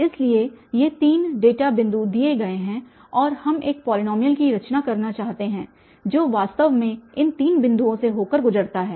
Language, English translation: Hindi, So, these are three equations we have from this given polynomial which passes through the three given points